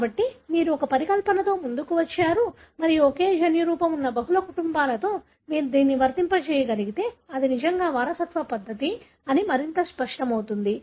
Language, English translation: Telugu, So, you sort of come up with a hypothesis and if you can apply that in multiple families having the same genotype, it becomes more and more clear that this is indeed the mode of inheritance